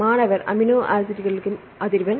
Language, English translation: Tamil, frequency of amino acids